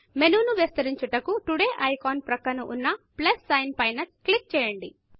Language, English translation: Telugu, Click on the plus sign next to the Today icon, to expand the menu